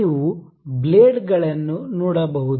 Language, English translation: Kannada, You can see the blades